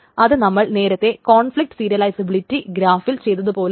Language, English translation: Malayalam, This is the same as we did in earlier in the complex serializability graph, etc